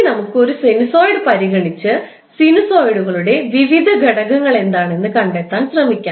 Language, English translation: Malayalam, Now let's consider one sinusoid and try to find out what are the various components of the sinusoids